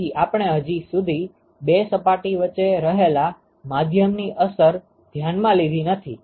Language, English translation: Gujarati, So, far we never considered what is the effect of medium that may be present between the 2 surfaces